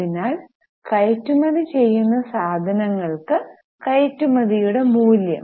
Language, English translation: Malayalam, So, for the goods which are exported, what is the value of exports